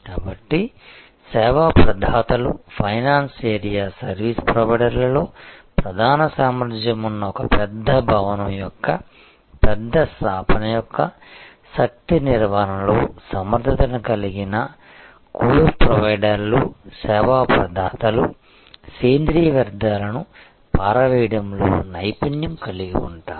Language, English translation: Telugu, So, there will be service providers whose core competence is in the finance area service providers whose competence core competence will be in energy management of a large establishment of a large building there will be service providers whose expertise will be in organic waste disposal